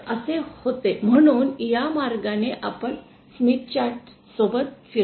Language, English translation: Marathi, So, that was, so this is the way we move along the Smith chart